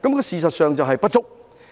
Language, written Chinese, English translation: Cantonese, 事實上，人手是不足的。, Insufficient manpower is a matter of fact